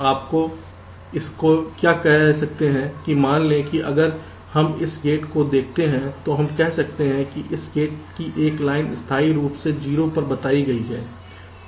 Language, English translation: Hindi, let say, if we look at this gate, we can say that one of the line of this gate is permanently stuck at zero